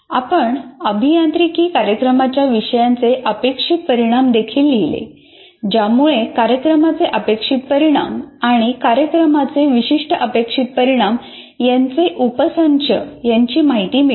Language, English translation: Marathi, And we also wrote outcomes of a course in an engineering program that address a subset of a subset of program outcomes and program specific outcomes